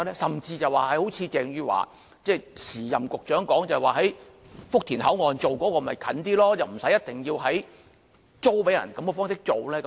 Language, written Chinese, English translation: Cantonese, 甚至好像鄭汝樺，即前任局長說在福田口岸進行便會較近，不一定要以租給內地這種方式進行。, Even more Eva CHENG the former Secretary said that Futian Station would be another option with its proximity to Hong Kong and leasing land to the Mainland should not be a must